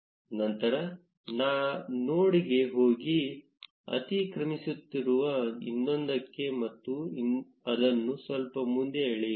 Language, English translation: Kannada, Then, going to the node which is being overlapped with the other and dragging it just a little further off